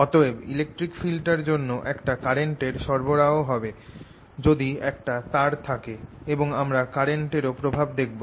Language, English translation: Bengali, that electric field therefore gives rise to a current if i put a wire here and i should see the effect of that current